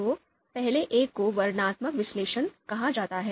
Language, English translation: Hindi, So, first one is called a descriptive analysis